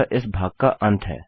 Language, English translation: Hindi, Thats the end of this part